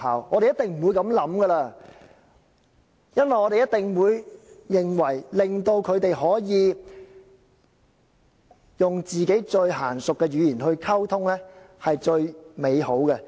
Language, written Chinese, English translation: Cantonese, 我們一定不會這樣想，因為我們一定會認為，令到他們可以用最熟習的語言溝通是最美好的。, We definitely will not think it that way as we surely will think that it is a very nice thing for them to be able to communicate in a language which they know best